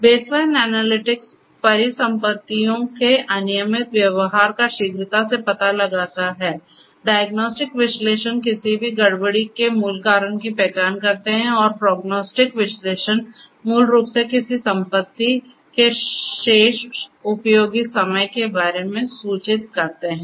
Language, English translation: Hindi, Baseline analytics detect irregular behavior of assets quickly; diagnostic analytics identify the root cause of any anomaly; and prognostic analytics basically inform about the remaining useful life of an asset